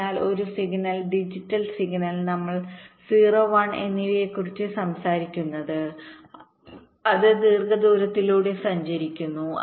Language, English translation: Malayalam, so whenever a signal, a digital signal we are talking about zero one it traverses over long distance